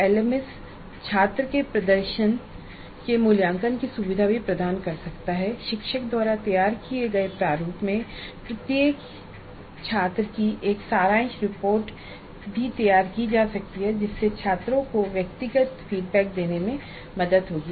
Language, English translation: Hindi, The LMS can also facilitate the evaluation of student performances, generate a summary report in the format required by the teacher and help in generating personalized feedback to the students